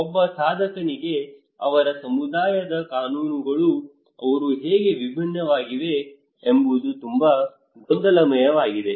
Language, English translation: Kannada, For a practitioner, laws of their community is very confusing that how they are different